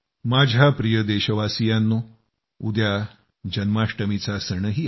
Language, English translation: Marathi, tomorrow also happens to be the grand festival of Janmashtmi